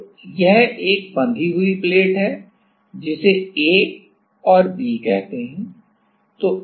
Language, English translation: Hindi, So, this is a fixed plate let us say this call this A and B